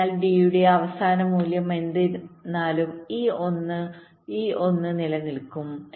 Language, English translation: Malayalam, so whatever was the last of d, this one, this one will remain